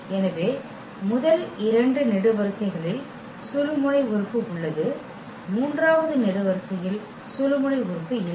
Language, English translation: Tamil, So, the first two columns have pivot element that third column does not have pivot element